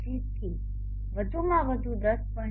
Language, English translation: Gujarati, 25 to a max of around 10